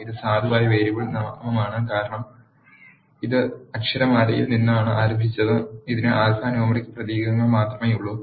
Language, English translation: Malayalam, This is a valid variable name because it started with an alphabet and it has only alphanumeric characters